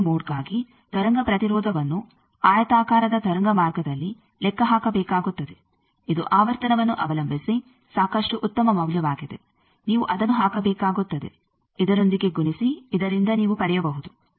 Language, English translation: Kannada, Now you will have to calculate the wave impedance for t e 1 0 mode in a rectangular waveguide, which is quite a good amount of value depending on frequency that you will have to put multiply with this, so that you can get